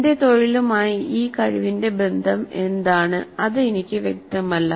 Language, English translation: Malayalam, What is the relationship of this competency to my profession